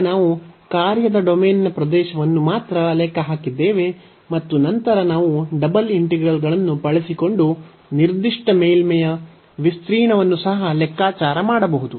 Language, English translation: Kannada, So now, we have computed only the area of the domain of the function and then, later on we can also compute the surface area of the given surface using the double integrals